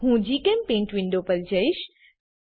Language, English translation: Gujarati, I will switch to GChemPaint window